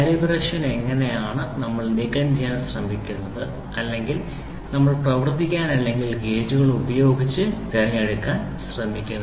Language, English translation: Malayalam, And this is how is the calibration we try to remove or we try to work or to choose with the gauges